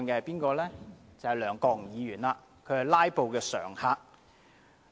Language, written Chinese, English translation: Cantonese, 便是梁國雄議員，他是"拉布"常客。, It is Mr LEUNG Kwok - hung who is a regular instigator of filibuster